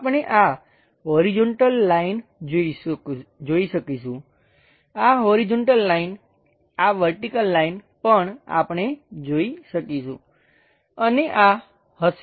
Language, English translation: Gujarati, We will be in a position to see this horizontal line, this horizontal line, this vertical also we will be in a position to see and this one